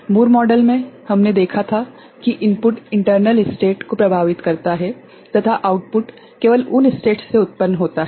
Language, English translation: Hindi, In Moore model, we had seen that input effects the internal state and output is generated from those states only